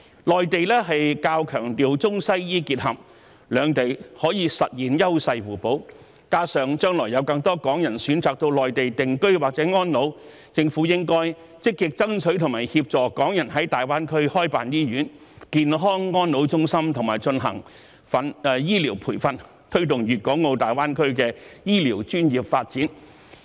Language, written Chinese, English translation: Cantonese, 內地較強調中西醫結合，兩地可以實現優勢互補，加上將來有更多港人選擇到內地定居或安老，因此政府應該積極爭取和協助港人在大灣區開辦醫院、健康安老中心和進行醫療培訓，以推動粵港澳大灣區的醫療專業發展。, As the Mainland places greater emphasis on the combined use of Chinese and Western medicines Hong Kong and the Mainland can complement each others strengths . In addition more Hong Kong people will choose to reside or spend their twilight years on the Mainland in the future . Hence the Government should proactively strive for and assist Hong Kong people in setting up hospitals and health and elderly care centres as well as conducting medical training in order to promote the development of healthcare professions in the Guangdong - Hong Kong - Macao Greater Bay Area